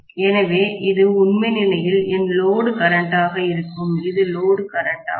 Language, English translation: Tamil, So, this is going to be actually my load current, this is the load current